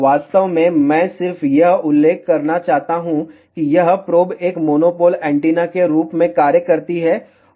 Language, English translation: Hindi, In fact, I just want to mention that, this probe acts as a monopole antenna